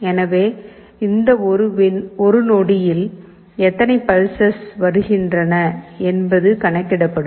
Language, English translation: Tamil, Suppose, I want to count, how many such pulses are coming per second